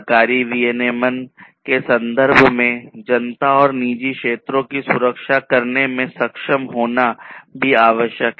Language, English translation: Hindi, In terms of government regulation, it is also required to be able to protect the public and the private sectors